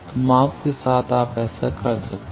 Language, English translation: Hindi, So, with measurement you can do that